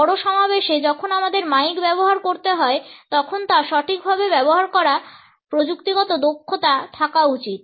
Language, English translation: Bengali, In large gatherings when we have to use the mike we should have the technical competence to use it properly